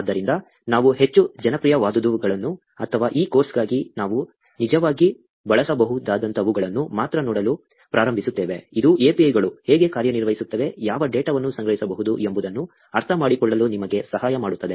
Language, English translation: Kannada, So, we are going to start looking at only the most popular ones, or the ones that we can actually use for this course, which will help you to understand how APIs work, what data can be collected